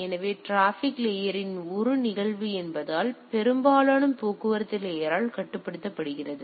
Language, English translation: Tamil, So, as it is a phenomena of the transport layer it is mostly controlled by the transport layer